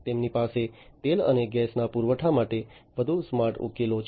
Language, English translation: Gujarati, They have smarter solutions for the supply of oil and gas